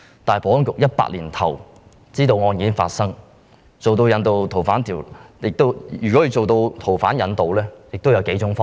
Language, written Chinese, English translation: Cantonese, 但是，保安局2018年年初已知道發生該案，如要進行逃犯引渡，應有幾種方法。, The Security Bureau learnt about the case in early 2018 and different approaches can be adopted to extradite the fugitive